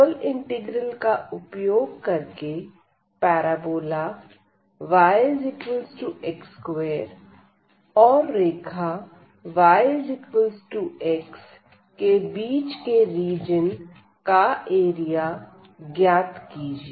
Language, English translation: Hindi, So, here using a double integral find the area of the region enclosed by the parabola y is equal to x square and y is equal to x